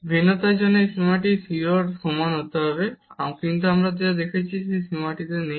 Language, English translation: Bengali, For differentiability this limit must be equal to 0, but what we have seen that this limit does not exist